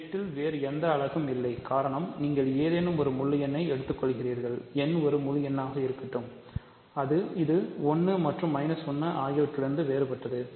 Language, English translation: Tamil, There are no other units of, no other units in Z, that is because, you take any integer, let n be an integer, which is different from 1 and minus 1